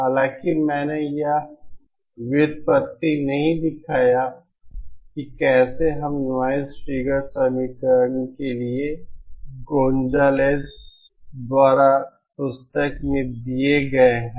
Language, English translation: Hindi, The derivations though I have not shown for how we got that equation for the noise figure the derivations are given in the book by Gonzales